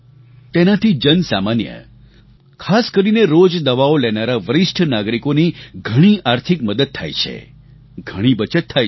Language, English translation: Gujarati, This is great help for the common man, especially for senior citizens who require medicines on a daily basis and results in a lot of savings